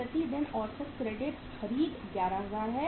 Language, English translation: Hindi, Average credit purchase per day is 11000